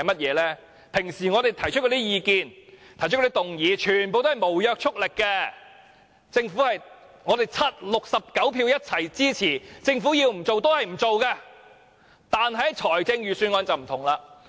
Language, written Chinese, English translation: Cantonese, 我們日常提出的意見和議案全皆沒有約束力，即使69票一致支持，如果政府堅持不從，我們也沒有辦法。, All the views and motions we express and move in the day - to - day operation of this Council have no binding effect and even though they have the unanimous support of all 69 Members we can do nothing if the Government insists on not yielding to pressure